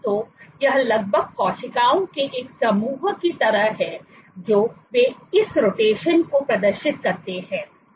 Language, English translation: Hindi, So, it is almost like a group of cells they exhibit this rotation